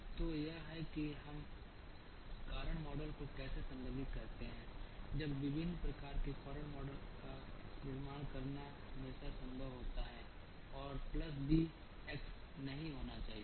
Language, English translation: Hindi, So, this is how we address causal models now when it is always possible to build causal models of different types and need not be a plus b x